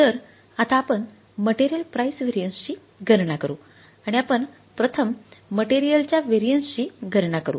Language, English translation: Marathi, So, now we will calculate the material price variance and we will take calculate this variance first for the material A, right